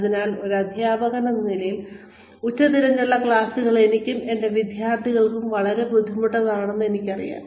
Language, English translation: Malayalam, So, as a teacher, I know that, afternoon classes are very difficult for me